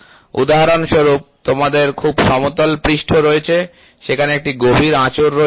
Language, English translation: Bengali, For example; you have a very flat surface there is a deep scratch